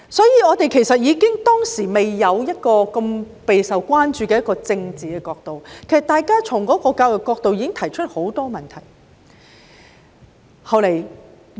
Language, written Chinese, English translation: Cantonese, 因此，即使當時尚未出現備受關注的政治考量，大家單從教育角度已經提出了很多問題。, As such even before political considerations became a concern back then Members had already raised a number of questions from the education perspective alone